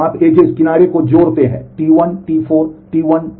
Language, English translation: Hindi, So, you add the edge T 1, T 4, T 1, T 4